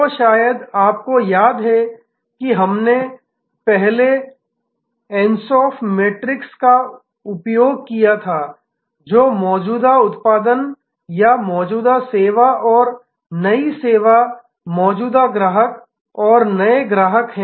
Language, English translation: Hindi, So, you remember that we had used earlier Ansoff matrix which is existing product or existing service and new service and existing customers and new customers